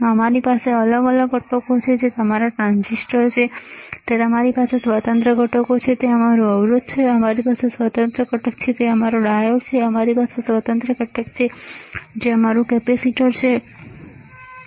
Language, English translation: Gujarati, We have discrete components that is your transistors, we have discrete components, that is your resistor, we have discrete component, that is your diode we have discrete component that is your capacitor, right